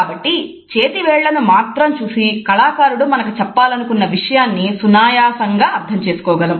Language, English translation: Telugu, So, simply by looking at the fingers we can try to make out the meaning which the artist wants to convey